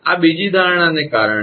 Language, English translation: Gujarati, This is because of the second assumption